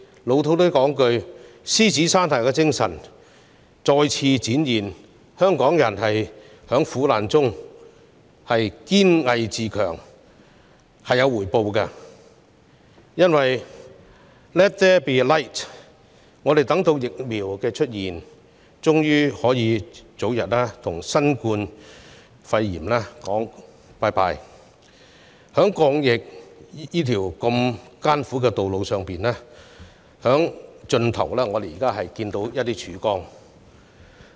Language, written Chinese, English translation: Cantonese, 俗套點說，獅子山下的精神又再次展現，香港人在苦難中堅毅自強，這是有回報的 ——let there be light—— 我們終於等到疫苗面世，可以早日與新冠肺炎說再見，在抗疫的艱苦道路盡頭，我們現在能看到一點曙光了。, To put it in our own peculiar way the spirit of the Lion Rock has once again been demonstrated in Hong Kong peoples perseverance and self - reliance in the face of suffering which has paid off . Let there be light―the vaccine is available at last and we can say goodbye to COVID - 19 early . We are now able to see a ray of hope at the bitter end of the uphill battle against the pandemic